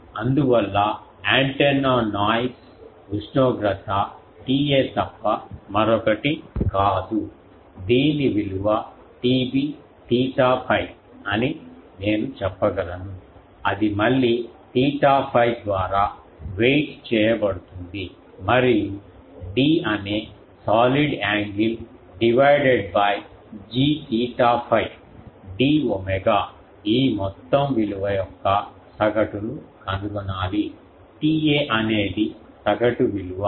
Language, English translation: Telugu, So, that is why the antenna noise temperature T A is nothing but the I can say T B theta phi that will be weighted by again theta phi and then d the solid angle divided by I will have to find out what is the total of these that is the average because these T A is an average